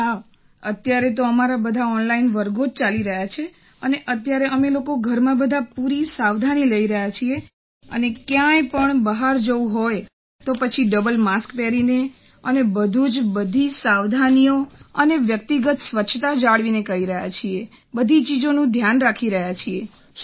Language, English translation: Gujarati, Yes, right now all our classes are going on online and right now we are taking full precautions at home… and if one has to go out, then you must wear a double mask and everything else…we are maintaining all precautions and personal hygiene